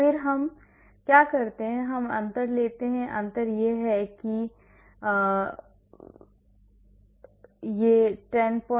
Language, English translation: Hindi, Then what we do is we take a difference the difference is this this is the difference and then / h